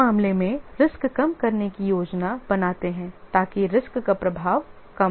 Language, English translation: Hindi, In this case, we make plans so that the impact of the risk will be less